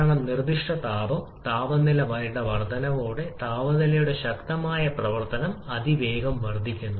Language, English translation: Malayalam, Because specific heat, a strong function of temperature increases rapidly with increase in temperature